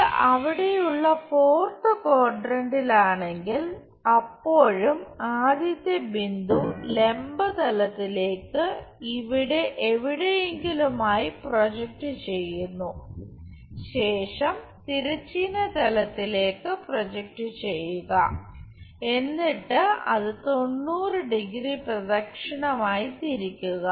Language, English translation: Malayalam, If it is fourth quadrant there also first the point projected onto vertical plane somewhere here, then project it on to horizontal plane rotate it by 90 degrees clockwise